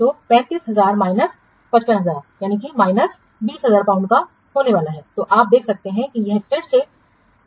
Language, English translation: Hindi, So 35,000 minus 55,000 what is the actual cost so that is this is coming to be how much so 35,000 minus 55,000 is coming to be minus 20,000 pound